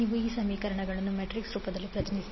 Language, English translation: Kannada, You can represent this equation in matrix form